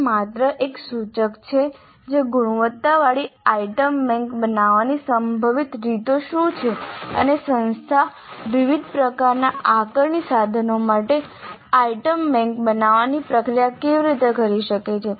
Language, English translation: Gujarati, It is only an indicative of what are the possible ways of creating a quality item bank and how can the institute go about the process of creating an item bank for different types of assessment instruments